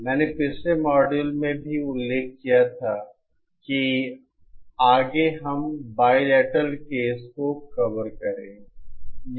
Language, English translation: Hindi, I had also mentioned in the previous module that next we will be covering the bilateral case